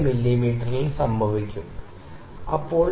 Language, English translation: Malayalam, 4 mm, ok